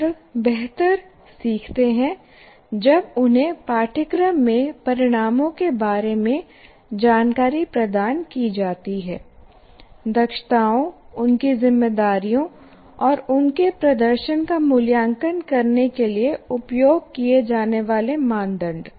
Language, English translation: Hindi, Students learn better when they are provided information about the course outcomes, competencies, their responsibilities and the criteria used to evaluate their performance